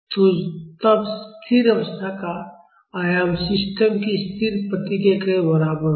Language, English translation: Hindi, So, then the steady state amplitude will be equal to the static response of the system